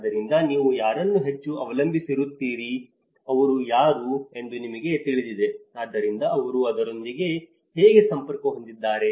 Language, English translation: Kannada, So, whom are you more relied of it you know, who are these, so that is how, how they are connected with it